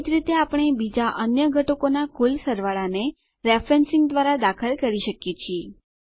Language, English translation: Gujarati, Similarly,we can enter the grand totals of other components through referencing